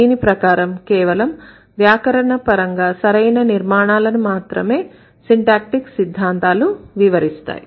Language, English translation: Telugu, So, the syntactic theories can explain only the grammatically correct constructions